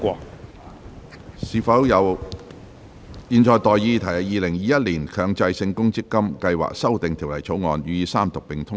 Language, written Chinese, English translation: Cantonese, 我現在向各位提出的待議議題是：《2021年強制性公積金計劃條例草案》予以三讀並通過。, I now propose the question to you and that is That the Mandatory Provident Fund Schemes Amendment Bill 2021 be read the Third time and do pass